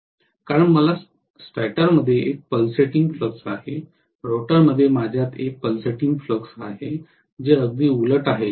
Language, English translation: Marathi, That is because I have a pulsating flux in the stator, I have a corresponding pulsating flux in the rotor, which is exactly opposite